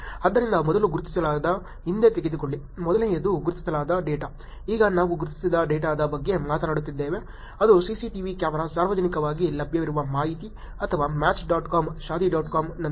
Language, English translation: Kannada, So first identified, take a back; the first is the identified data, now we are talking about un identified data, which is like the CCTV camera, publicly available information or from match dot com, shaadi dot com